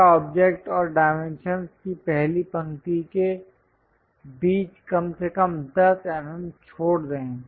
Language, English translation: Hindi, Always leave at least 10 mm between the object and the first row of dimensions